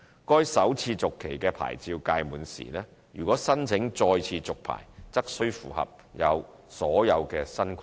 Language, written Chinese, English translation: Cantonese, 該首次續期的牌照屆滿時，如果申請再次續牌，則須符合所有新規定。, Upon expiry of this first - renewed licence they will have to meet all new requirements if they apply for further renewal of their licences